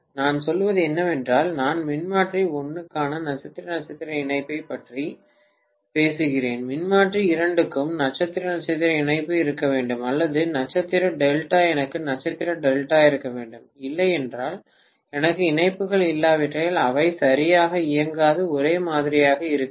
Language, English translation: Tamil, What I mean is that is I am talking about a star star connection for the transformer 1, transformer 2 also should have star star connection, or star delta I should have star delta, otherwise they will not work properly unless I have the connections to be the same